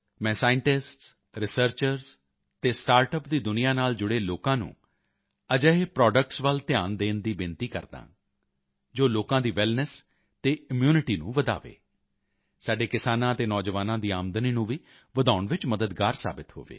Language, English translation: Punjabi, I urge scientists, researchers and people associated with the startup world to pay attention to such products, which not only increase the wellness and immunity of the people, but also help in increasing the income of our farmers and youth